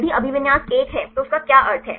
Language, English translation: Hindi, If the occupancy is 1 what is the meaning of that